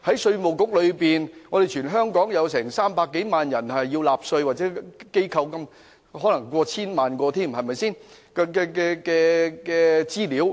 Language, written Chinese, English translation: Cantonese, 稅務局持有全港300多萬名納稅人的資料，亦有成千上萬間需納稅的機構的資料。, The Inland Revenue Department IRD holds information on more than 3 million taxpayers in Hong Kong and there are also information on tens of thousands of tax - paying agencies